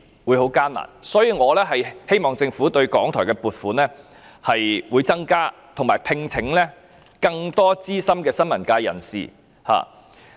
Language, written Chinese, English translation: Cantonese, 因此，我希望政府增加對港台的撥款，並讓其聘請更多資深新聞工作者。, Hence I hope the Government will increase the provision for RTHK to allow it to recruit more veteran journalists